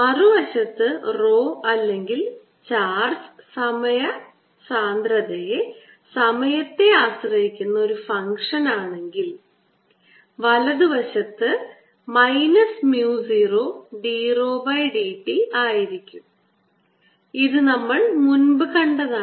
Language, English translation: Malayalam, mathematics tells you that, on the other hand, if rho is a function or charge, density is a function time right hand side has to be minus mu, zero d, rho d t, which we saw earlier here